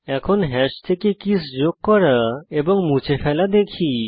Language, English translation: Bengali, Now let us see add and delete of keys from hash